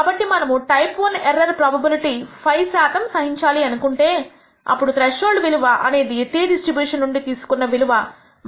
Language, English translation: Telugu, So, if we are willing to tolerate the type I error probability of 5 percent then we can choose the threshold value as minus 1